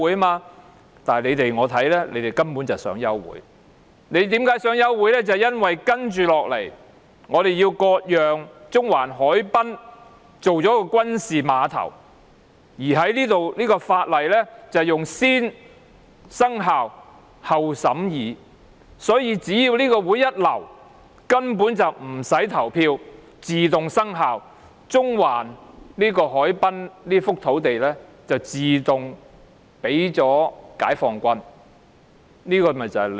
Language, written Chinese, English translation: Cantonese, 不過，依我看來，他們根本是想休會，因為接下來要討論割讓中環海濱作軍事碼頭的附屬法例，而有關附屬法例以"先訂立後審議"的方式處理，所以一旦流會，無須表決便自動生效，中環海濱這幅土地自動送給解放軍。, However in my view an adjournment of the meeting is exactly what they want because next we will discuss the subsidiary legislation on ceding a Central Harbourfront site for use as a military dock which is to be dealt with by negative vetting . An abortion of the meeting means the subsidiary legislation will take effect immediately and the site at the Central Harbourfront will be given to the Peoples Liberation Army